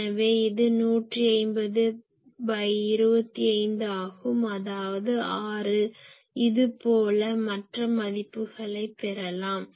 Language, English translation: Tamil, So, it is 150 by 25 that is 6 , like that you can get those values